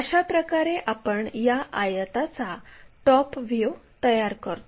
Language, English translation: Marathi, This is the way we construct top view of that rectangle